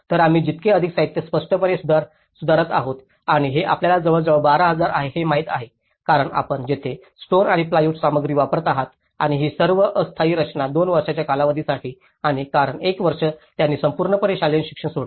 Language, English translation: Marathi, So, the more the material we are improving obviously and this is about 12,000 you know because that is where you are using the stone and as well as the plywood material into it and this all temporary structure for a period of 2 years and because for 1 year they completely abandoned the school education